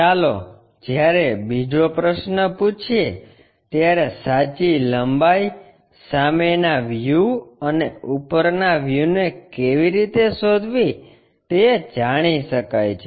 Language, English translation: Gujarati, Let us ask another question, when true length is known how to locate front view and top view